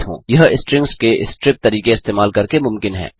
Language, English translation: Hindi, This is possible by using the strip method of strings